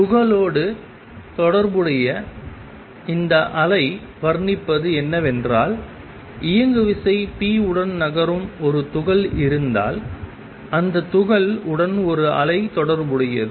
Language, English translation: Tamil, What this wave business associated with particle says is that If there is a particle which is moving with momentum p, with the particle there is a wave associated